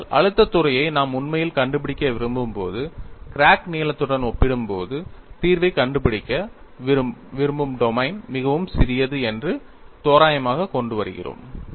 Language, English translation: Tamil, But when we actually want to find out the stress field, we are bringing in an approximation, the domain in which we want to find the solution, is much smaller compared to the crack line;, and we simplify,